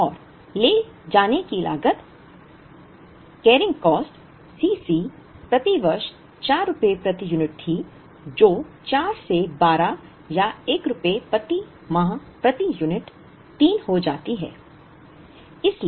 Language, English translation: Hindi, And the carrying cost C c was rupees 4 per unit per year which becomes 4 by 12 or rupees 1 by 3 per unit per month